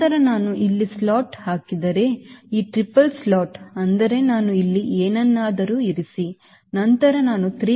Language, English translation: Kannada, then this triple slot if i put a slat here, that is, i put something here right, then i can go up to three point five